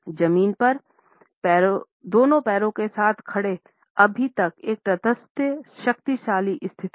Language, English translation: Hindi, Standing with both feet on the ground is a neutral yet powerful standing position